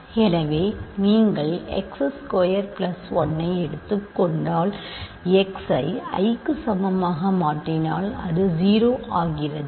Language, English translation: Tamil, So, if you take x squared plus 1 and substitute x equal to i it become 0